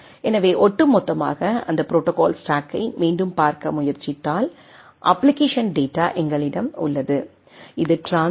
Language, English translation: Tamil, So, overall if we try to look at that again that protocol stack, so we have the application data right, which along with the TCP header at the transport level